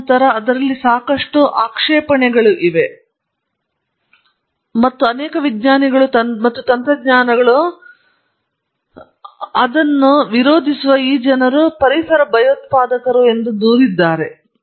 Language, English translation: Kannada, And then there are lots of objections to it and many scientists and technologies have complained that these people who object to it are eco terrorists